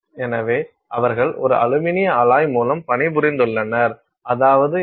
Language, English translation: Tamil, So, they have worked with an aluminum alloy which means what